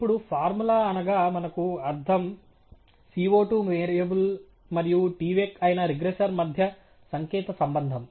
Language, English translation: Telugu, Now by formula what we mean is the symbolic relationship between the predicted variable which is CO 2 and the regressor which is tvec